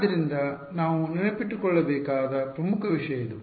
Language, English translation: Kannada, So, this is the important thing that we have to keep in mind